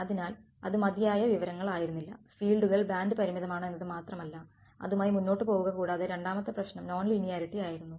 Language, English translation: Malayalam, So, that was not enough info, it is just not there the fields are band limited, live with it and the second problem was non linearity right